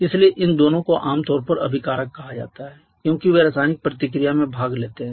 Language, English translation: Hindi, So, these 2 together are generally called reactants because they participate in the chemical reaction